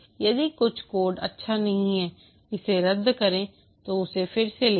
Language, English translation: Hindi, If some code is not good, discard it, rewrite it